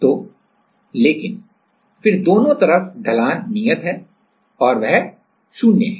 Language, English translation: Hindi, So, but then both the side the slope is fixed and that is 0